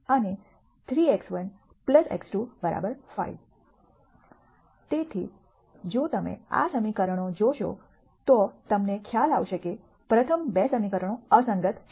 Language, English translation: Gujarati, So, if you notice these equations you would realize that the first 2 equations are inconsistent